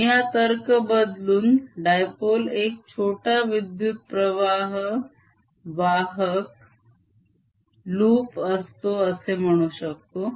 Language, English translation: Marathi, i can turn this argument around and say that a dipole is equivalent to a current carrying loop